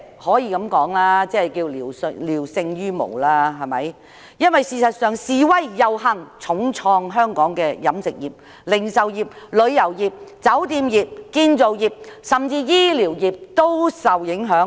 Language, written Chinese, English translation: Cantonese, 我會說句，這措施是聊勝於無，因為遊行示威已重創香港的飲食業、零售業、旅遊業、酒店業和建造業，甚至醫療業亦受影響。, I would say that this measure is better than nothing because the marches and demonstrations have already taken their heavy toll on Hong Kongs catering retail tourism hospitality and construction industries and even the medical industry is at the receiving end